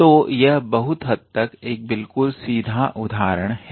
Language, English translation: Hindi, So, this is pretty much straight forward example